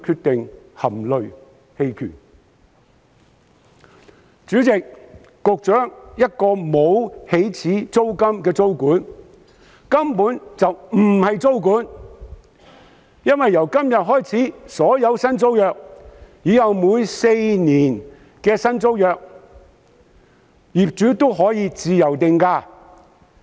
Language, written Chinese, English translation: Cantonese, 代理主席、局長，不設起始租金的租管根本不是租管，因為由今天開始，在所有為期合共4年的新租約中，業主均可自由定價。, Deputy President and Secretary without a cap on the initial rent the proposed tenancy control will not be able to serve its purpose . This is because after today SDU landlords can freely arbitrarily set rents for all their new tenancies with a four - year cycle